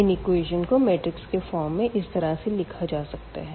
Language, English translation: Hindi, So, we can write down the system in the matrix form as well